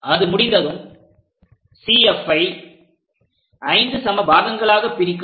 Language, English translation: Tamil, Once that is done divide CF into 5 equal parts